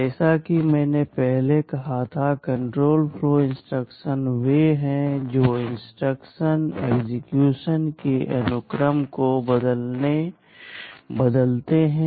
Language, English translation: Hindi, As I had said earlier, control flow instructions are those that change the sequence of instruction execution